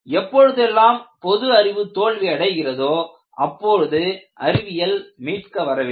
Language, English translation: Tamil, See, whenever the so called commonsense fails, science has to come to your rescue